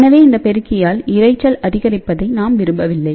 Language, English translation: Tamil, So, we do not want to add more noise by this amplifier